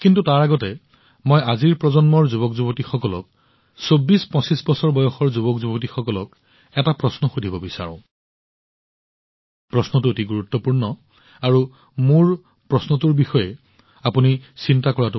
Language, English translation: Assamese, But, before that I want to ask a question to the youth of today's generation, to the youth in the age group of 2425 years, and the question is very serious… do ponder my question over